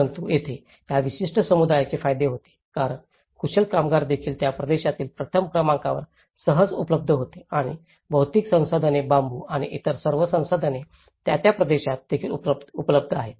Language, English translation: Marathi, But here, the benefits for these particular community was because the skilled labour was also easily available in that region number one and the material resources many of the resources bamboo and all, they are also available in that region